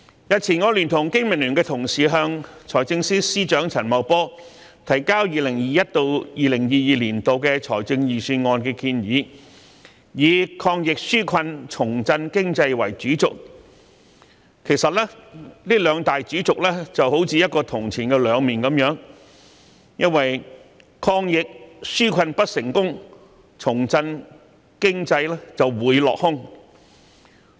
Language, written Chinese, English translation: Cantonese, 日前，我聯同經民聯同事向財政司司長陳茂波提交 2021-2022 年度財政預算案建議，以"抗疫紓困，重振經濟"作為主軸，其實這兩大主軸有如銅錢的兩面，因為抗疫紓困不成功，重振經濟會落空。, I together with my fellow colleagues from BPA have submitted to Financial Secretary Paul CHAN the other day our proposals for the 2021 - 2022 Budget the Budget and we have adopted fighting against the epidemic and relieving peoples hardship and revitalizing our economy as the main axes for our submission . These two main axes are like the two sides of a coin because a failure in our efforts to fight the epidemic and relieve peoples hardship is bound to be followed by another failure to revitalize the economy